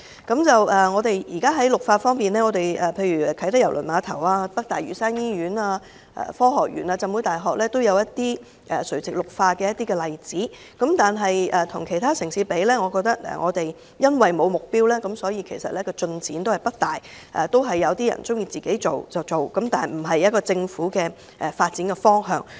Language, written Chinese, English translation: Cantonese, 現時在垂直綠化方面，例如啟德郵輪碼頭、北大嶼山醫院、科學園和浸會大學均有垂直綠化的例子，但與其他城市相比，我認為我們欠缺目標，所以進展不大，大家各有各做，卻不是政府發展的方向。, For vertical greening examples can be found in the Kai Tak Cruise Terminal the North Lantau Hospital the Science Park and the Hong Kong Baptist University . As compared with other cities I think we lack a goal . As a result there is little progress